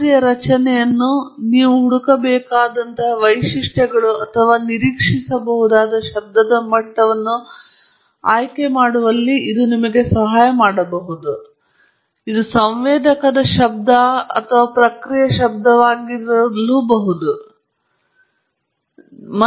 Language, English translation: Kannada, It may help you in choosing the structure of the model, the kind of features that you should search for or the level of noise that you can expect whether it is a sensor noise or a process noise and so on, or even in your applications